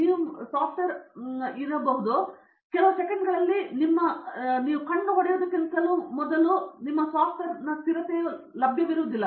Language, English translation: Kannada, Whether you are software is working or not will be known within the next few seconds by time you wink your eyes three times your software stability will be not